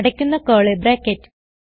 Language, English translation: Malayalam, And Open curly bracket